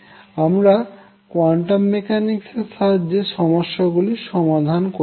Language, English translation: Bengali, The questions that arises that quantum mechanics is not complete